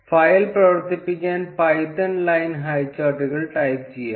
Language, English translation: Malayalam, To run the file lets type python line highcharts